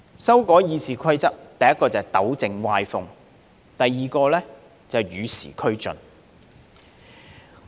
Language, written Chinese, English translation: Cantonese, 修改《議事規則》，第一是要糾正歪風，第二是要與時俱進。, The purpose of amending the Rules of Procedure is first to rectify the undesirable trend and second to keep it abreast of the times